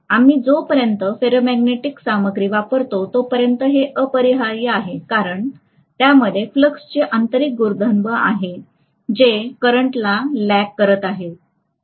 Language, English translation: Marathi, So this is unavoidable as long as we use a ferromagnetic material because it has its inherent property of flux lagging behind the current